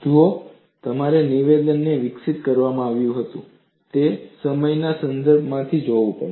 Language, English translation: Gujarati, See, you have to look at the statement from the context of the time while it was developed